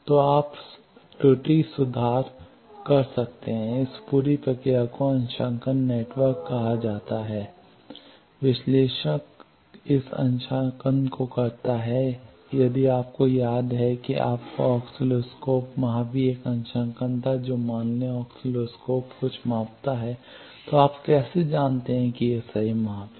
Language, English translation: Hindi, So, you can do error correction this whole process is called calibration network, analyzer does this calibration if you remember your oscilloscope there was also a calibration what let suppose oscilloscope is measure in something, how do you know that it is correct measurement